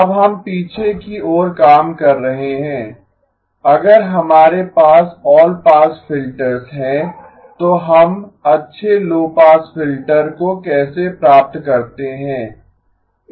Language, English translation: Hindi, Now we are working backwards, if we have all pass filters, how do we get to the good low pass filter